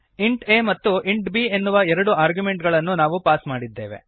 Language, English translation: Kannada, We have passed two arguments int a and int b